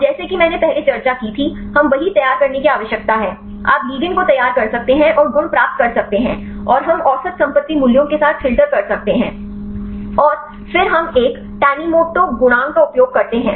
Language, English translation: Hindi, And as I discussed earlier we need to prepare the same; you can prepare the ligands and get the properties and we can filter with the average property values and then we use a tanimoto coefficient